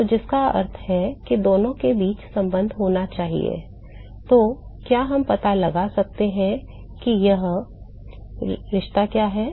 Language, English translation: Hindi, So, which means that there must be relationship between the two; so, can we find out what that relationship is